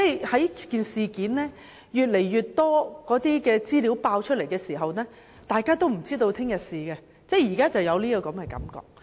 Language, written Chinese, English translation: Cantonese, 隨着事件有越來越多資料爆出，大家都有今天不知明天事的感覺。, With the exposure of more and more information we have a feeling of uncertainty as we do not know what may happen tomorrow